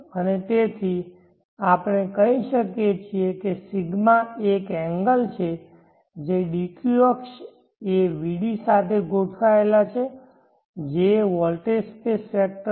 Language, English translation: Gujarati, is at such an angle that the dq axis is aligned along the vd which is the voltage space vector